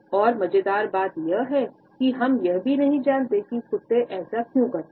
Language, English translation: Hindi, And the funny thing is we do not even know for sure why dogs do it